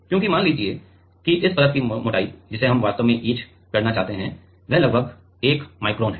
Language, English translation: Hindi, Because, let us say the thickness of the thickness of this layer which we actually want to etch is about 1 micron right